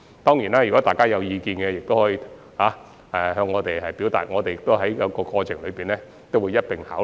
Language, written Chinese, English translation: Cantonese, 當然，如果大家有任何意見，亦可向我們提出，我們會在過程中一併考慮。, Of course Members can put forward their views if any to us and we will also consider them during the process